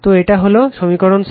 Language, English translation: Bengali, So, this is equation6right